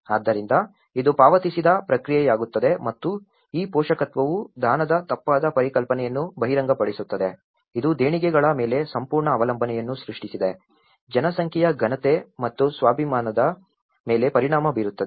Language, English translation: Kannada, So, it becomes a paid process and this paternalism reveals a mistaken concept of charity, which has created an absolute dependence on donations, affecting the population’s dignity and self esteem